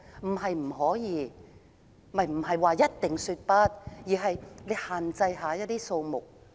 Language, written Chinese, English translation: Cantonese, 我們並非一定要說"不"，而是要限制遊客人數。, We do not necessarily have to say no; instead we should limit the number of visitors